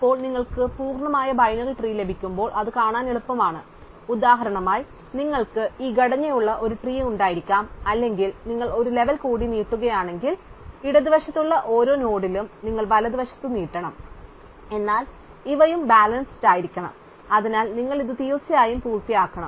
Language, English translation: Malayalam, Then, it is easy to see that you when you get a complete binary trees, so example you could have a tree which has this structure or if you extend it one more level, then for every node in the left you must extended on the right, but then these must also be balanced, so you must definitely complete this